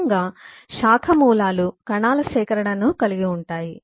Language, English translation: Telugu, In turn, branch roots will be comprising a collection of cells